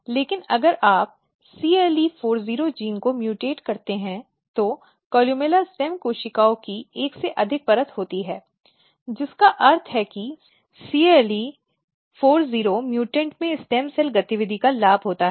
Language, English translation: Hindi, But if you mutate CLE40 genes what you see that there is more than one layer of stem cells columella stem cells which means that in cle40 mutants there is a gain of stem cell activity